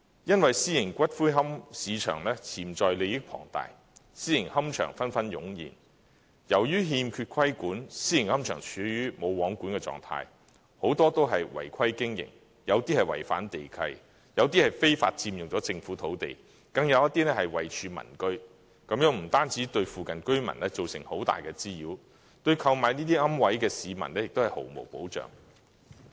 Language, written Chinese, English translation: Cantonese, 因為私營龕位市場潛在利益龐大，私營龕場紛紛湧現，由於欠缺規管，私營龕場處於"無皇管"的狀態，很多都是違規經營，有些違反地契，有些非法佔用政府土地，更有些是位處民居，這不單對附近居民造成很大的滋擾，對購買這些龕位的市民也是毫無保障。, As a result of the lack of regulation private columbaria are subject to no control . Many of them operate illegally some are in contravention of the land leases some occupy government land illegally and some are even located in residential properties . This has not only caused great nuisances to residents in the vicinity but also provided no safeguards to purchasers of such niches